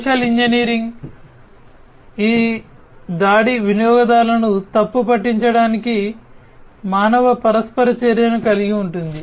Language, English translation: Telugu, Social engineering, this attack involves human interaction to mislead the users